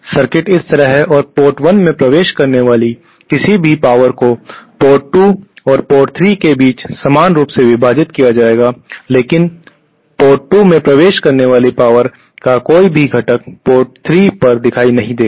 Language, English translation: Hindi, The circuit is like this and any power entering port 1 will be equally divided between port 2 and port 3 but no component of power entering port 2 will appear at port 3